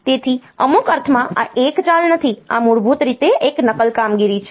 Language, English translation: Gujarati, So, in some sense this is not a move this is basically a copy operation